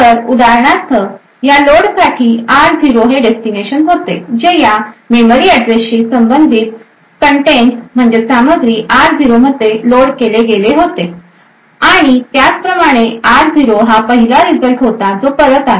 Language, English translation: Marathi, So, for example r0 was the destination for this load that is the contents corresponding to this memory address was loaded into r0 and similarly r0 was the first result to be return back